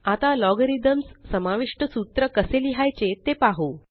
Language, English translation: Marathi, Now let us see how to write formulae containing logarithms